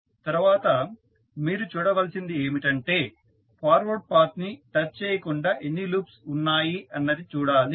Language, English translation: Telugu, Next is that we have to see how many loops which you can find which are not touching the forward path